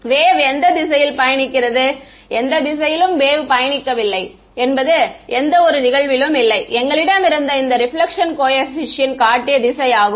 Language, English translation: Tamil, The wave is travelling in any direction no the wave is travelling is incident on it in any direction that is what we showed this reflection coefficient that we had